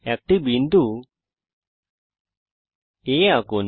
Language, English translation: Bengali, Select point A